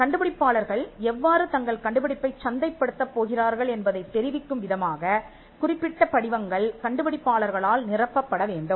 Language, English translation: Tamil, Now there are specific forms that has to be filled by the inventors which would tell how to market the invention